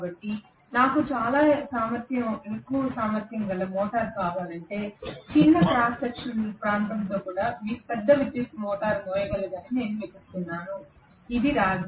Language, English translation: Telugu, So if I want a very high capacity motor I should be looking for which can carry larger current even with a smaller cross section area which is copper